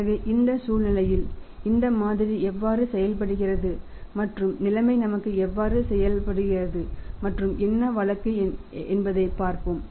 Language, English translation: Tamil, So, in our situation let us see that how this model works out and how the situation works out for us and what is the case